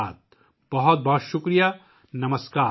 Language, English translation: Urdu, Thank you very much, Namaskar